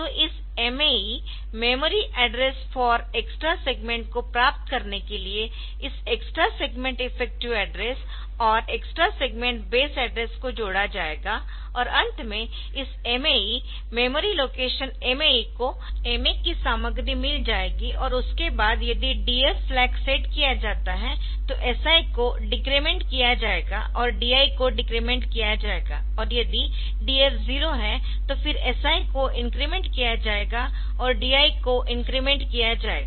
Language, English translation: Hindi, So, they will be added to get these MAE; the memory address for X EX extra segment or for the destination and finally, this MAE will get the memory location MAE will get content of MA and after that if DF flag is set then SI will be decremented and DI will be decremented and if DF is 0 then SI will be incremented and DI will be decremented